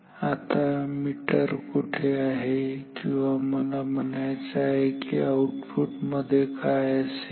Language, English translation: Marathi, Now where is the meter or where I mean what is there in the output